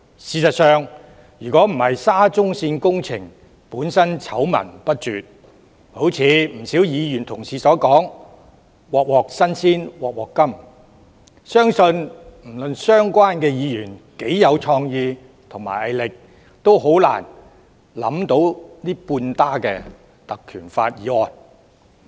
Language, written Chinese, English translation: Cantonese, 事實上，若非沙中線工程醜聞不絕，正如不少議員所說般"鑊鑊新鮮鑊鑊甘"，相信不論相關議員多有創意和毅力，也難以想出這半打根據《條例》動議的議案。, In fact had there not been endless scandals about the SCL project which as many Members said keep astounding us with something new and dreadful I believe no matter how creative and tenacious the Members concerned are they could have hardly come up with this half - dozen motions under PP Ordinance